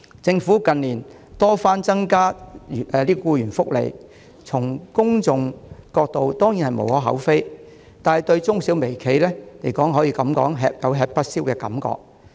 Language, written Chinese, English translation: Cantonese, 政府近年多番增加僱員福利，從公眾角度當然無可厚非，但對中小微企而言卻有吃不消之感。, The past few years have seen constant enhancements in employee benefits by the Government . While it is understandable from the public perspective the micro small and medium enterprises have found it hard to cope